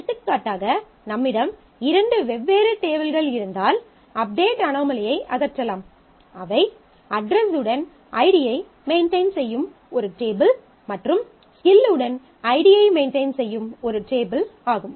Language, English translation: Tamil, So, for example, the update anomaly can be removed if we have two different tables; one that maintains ID with address and one that maintains ID with skill